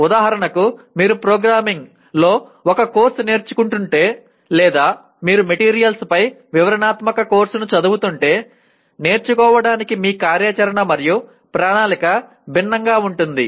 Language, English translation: Telugu, For example if you are learning a course in programming or if you are studying a descriptive course on materials your plan of action will be different for learning